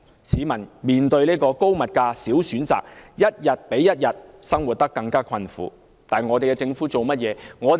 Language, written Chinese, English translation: Cantonese, 市民面對高物價、少選擇的情況，生活一天比一天困苦，但政府做了甚麼呢？, People are faced with high prices and less choices and their life is getting worse but what has the Government done in this respect?